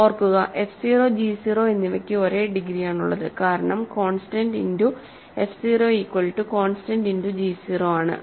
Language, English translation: Malayalam, Remember, f 0 and g 0 have the same degree because a constant times f 0 is equal to a constant time g 0